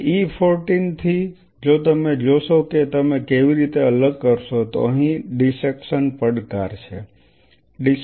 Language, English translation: Gujarati, So, from E 14, if you look at how you are going to isolate so there is a dissection challenge here